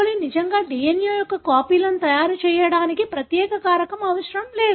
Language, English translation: Telugu, coli really doesn’t require any to, special reagent, to make copies of the DNA